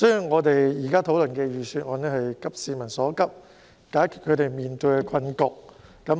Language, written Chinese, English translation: Cantonese, 我們現時討論的財政預算案是急市民所急，解決他們面對的困局。, The Budget we are now discussing is to address peoples pressing needs and the difficulty they faced